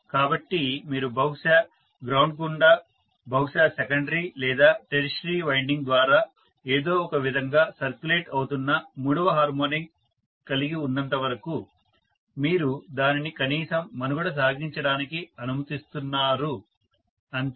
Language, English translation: Telugu, Nothing more than that, so as long as you have the third harmonic circulating somehow maybe through the ground, maybe through the secondary or tertiary winding, you are at least allowing it to survive, that is all that matters